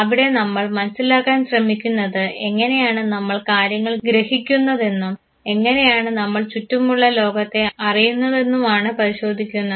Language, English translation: Malayalam, There by trying to understand that how do we perceive things, how do we make out sense how the world is around us